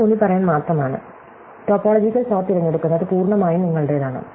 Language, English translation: Malayalam, So, this is just to emphasize, that the choice of topological sort is entirely up to you